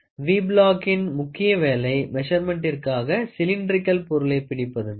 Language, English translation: Tamil, Major purpose of V block is to hold a cylindrical work piece to enable measurement